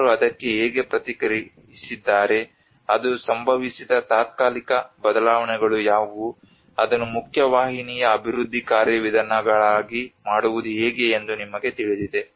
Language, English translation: Kannada, How people have responded to it what are the temporal changes it occurred you know how to make it into a mainstream development procedures